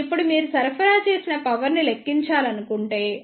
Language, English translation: Telugu, Now, if you want to calculate the power supplied